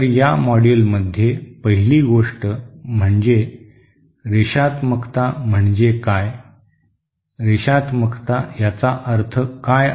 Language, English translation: Marathi, So in this module the first thing what is Linearity, what do you mean by Linearity